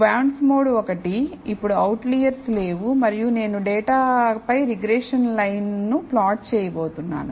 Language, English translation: Telugu, So, bondsmod one does not have any outliers now and I am going to plot the regression line over the data